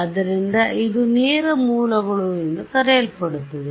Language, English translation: Kannada, So, this is about what are called direct sources